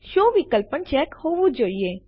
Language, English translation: Gujarati, The SHOW option should also be checked